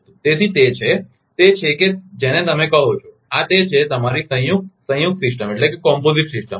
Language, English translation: Gujarati, So, that is is that your what you call this is that your composite composite system